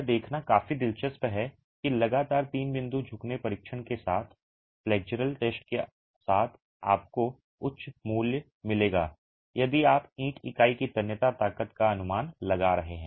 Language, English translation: Hindi, It is quite interesting to observe that consistently with the flexure test, with the three point bending test, you will get values higher if you are estimating the tensile strength of the brick unit